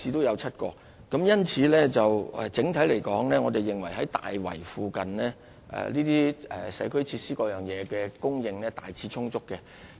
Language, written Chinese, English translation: Cantonese, 因此，整體來說，我們認為大圍周邊的社區設施供應量大致充足。, Therefore on the whole we consider that the supply of community facilities in the vicinity of Tai Wai is generally adequate